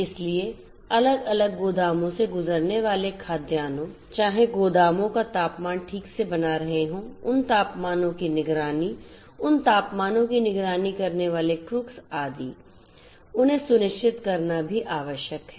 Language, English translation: Hindi, So, food grains going through different warehouses whether the temperature of the warehouses have been properly maintained, monitoring of those temperatures, the crux carrying those temperature monitoring etcetera, those will also have to be done